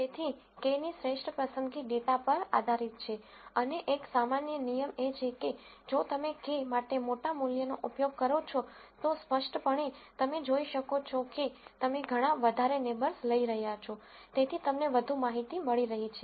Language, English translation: Gujarati, So, the best choice of k depends on the data and one general rule of thumb is, if you use large values for k, then clearly you can see you are taking lot more neighbors, so you are getting lot more information